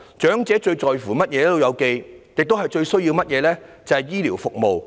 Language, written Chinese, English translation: Cantonese, "老友記"最在乎和最需要的是醫療服務。, The elderly are most concerned about and badly need health care services